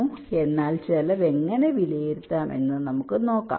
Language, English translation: Malayalam, so let us see how we can evaluate the cost